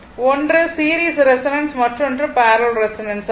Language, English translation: Tamil, One is the series resonance, another is the parallel resonance right